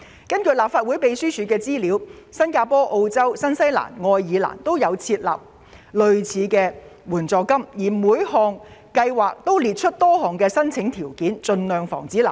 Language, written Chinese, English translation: Cantonese, 根據立法會秘書處提供的資料，新加坡、澳洲、新西蘭及愛爾蘭均設有類似的援助金，而各地的援助計劃皆會列明申請條件，盡量防止濫用。, According to the information provided by the Legislative Council Secretariat Singapore Australia New Zealand and Ireland have all provided similar financial assistance and the eligibility requirements of various schemes were clearly specified to avoid abuse as far as possible